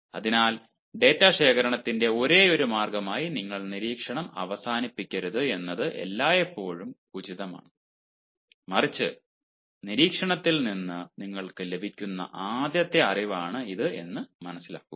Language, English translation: Malayalam, so it is always advisable that you should not end up using observation as the only method of data collection, but rather understand that it is the first hand knowledge that you get from observation